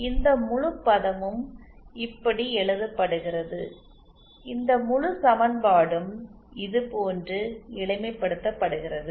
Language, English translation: Tamil, This whole term can be written like ,this whole equation simplified like this